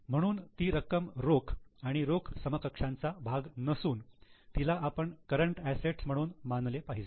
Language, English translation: Marathi, So, it is not a part of cash and cash equivalent, it should be treated as a current asset